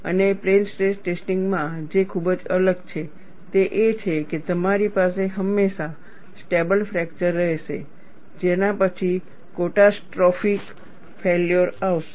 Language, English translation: Gujarati, And what is very distinct in plane stress testing is, you will always have a stable fracture followed by a catastrophic failure